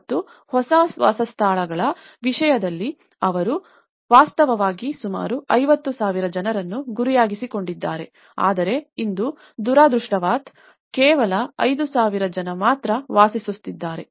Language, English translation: Kannada, And in terms of the new dwellings, they actually aimed for about 50,000 people but today, unfortunately, only 5000 people lived there